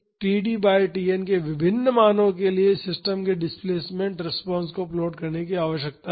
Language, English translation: Hindi, And, we need to plot the displacement response of the system for various values of td by Tn